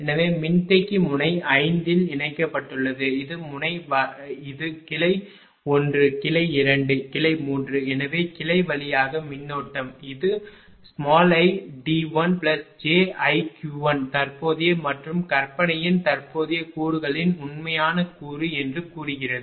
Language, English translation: Tamil, So, capacitor is connected at node 5 this is the node right so, this is branch 1 branch 2 branch 3 so, current to the branch say it is i d 1 plus j i q 1 say real component of the current and imaginary component of current